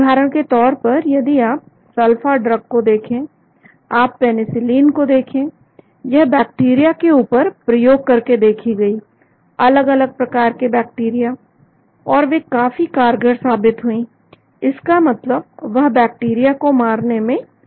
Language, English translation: Hindi, For example, if you look at sulpha drug, you look at penicillin, they were tested on bacteria various types of bacteria, and they were found to act very effectively that means they were able to kill the bacteria